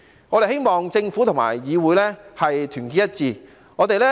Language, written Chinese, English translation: Cantonese, 我們希望政府和議會團結一致。, We hope that the Government and the legislature will work together in solidarity